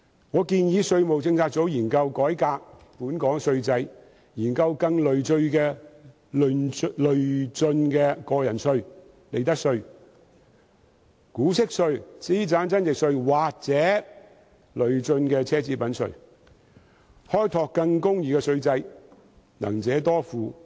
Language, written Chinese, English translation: Cantonese, 我建議稅務政策組研究改革本港稅制，研究更累進的薪俸稅及個人入息課稅、利得稅、股息稅、資產增值稅或累進的奢侈品稅，開拓更公義的稅制，能者多付。, I advise the tax policy unit to conduct studies on reforming the tax system of Hong Kong introducing a more progressive salaries tax tax under personal assessment profits tax dividend tax capital gains tax or a progressive tax on luxury goods so as to develop a fairer tax system underpinned by the ability - to - pay principle